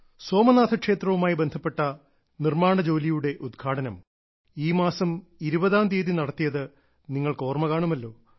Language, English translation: Malayalam, You must be aware that on the 20th of this month the construction work related to Bhagwan Somnath temple has been dedicated to the people